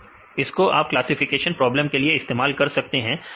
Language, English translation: Hindi, So, now, we can use a this in classification problem